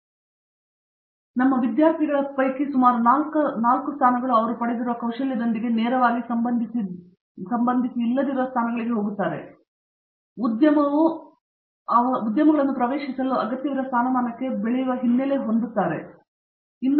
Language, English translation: Kannada, A similar fraction roughly about, let’s say a quarter of our students go into positions where it may not be directly related to the skills they have acquired, but they have that background information necessary to grow into a position that the industry needs them to get into